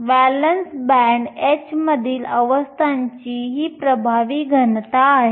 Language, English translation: Marathi, This is the effective density of states at the valence band h